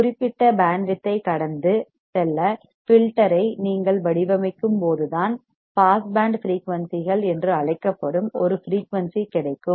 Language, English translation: Tamil, That’s when you design a filter for a certain band of frequency to pass which are called pass band frequencies